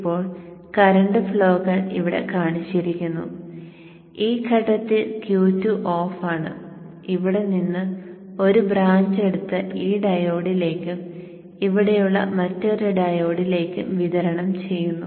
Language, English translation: Malayalam, Now current flows along as shown here then at this point Q2 is off we will take a branch out here and push it to the supply to this diode and another diode here